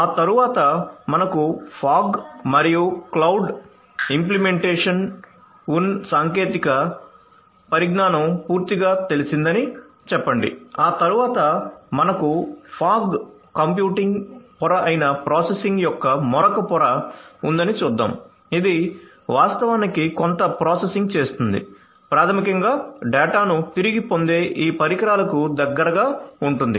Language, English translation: Telugu, Thereafter let us say that it is completely you know up to date with technology we have fog as well as cloud implementations, let us see that thereafter we have another layer of you know processing which is the fog computing layer, which actually does some processing close to the; close to the edge, so basically you know close to these devices from which the data are being retrieved